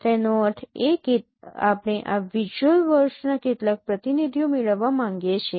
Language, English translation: Gujarati, That means we would like to get some representatives of these visual words